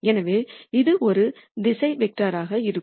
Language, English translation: Tamil, So, this is going to be a direction vector